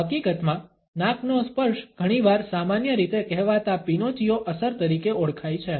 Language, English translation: Gujarati, In fact, nose touch is often associated with what is commonly known as the Pinocchio effect